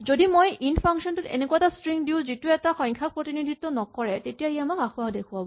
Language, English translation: Assamese, If I give the function int a string which does not represent the number then it will just give me an error